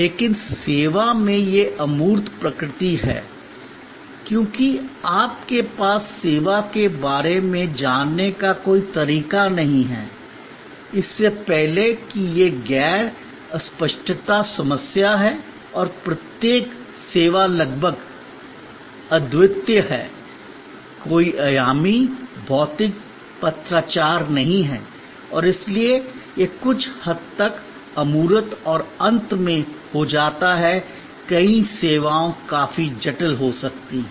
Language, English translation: Hindi, But, in service because of it is intangible nature you do not have any way of knowing about the service before that is the non searchability problem and each service being almost unique there is no dimensionalized, physical correspondence and therefore, it becomes somewhat abstract and lastly many services can be quite complex